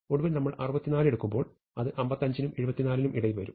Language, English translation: Malayalam, And finally, when we do 64, it will come between 55 and 74